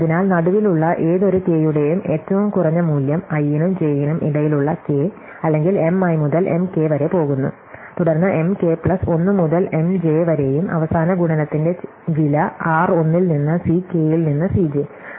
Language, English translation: Malayalam, So, we want the minimum value for any k in the middle, k between i and j or going for M i to M k and then from M k plus 1 to M j and the cost of the last multiplication which is r 1 into C k into C j